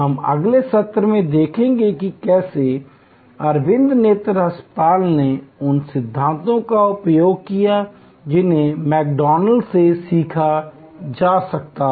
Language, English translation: Hindi, We will see in the next session how Aravind Eye Hospital used those principles that could be learned from McDonalds